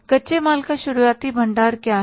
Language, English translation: Hindi, What is the opening stock of raw material